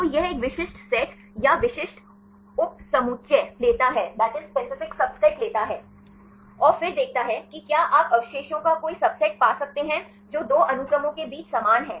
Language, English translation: Hindi, So, it takes a specific set or specific subset, and then sees whether you can find any subset of residues which are same between two sequences